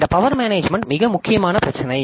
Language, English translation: Tamil, So, this power management is a very important issue